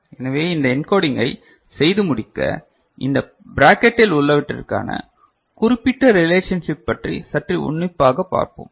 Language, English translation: Tamil, So get this encoding done we look at this particular relationship which is there within this bracket a bit closer ok